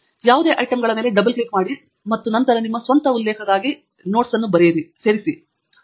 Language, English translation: Kannada, You can double click on any of the items and add notes for your own reference later on